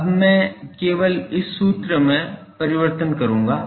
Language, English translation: Hindi, Now, I will just manipulate this formula